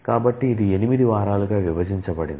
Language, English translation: Telugu, So, it is divided into 8 weeks